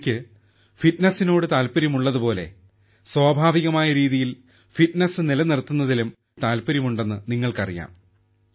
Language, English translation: Malayalam, You guys know that much as I am passionate about fitness, I am even more passionate about staying fit in a natural way